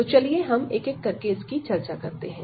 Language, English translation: Hindi, So, let us discuss one by one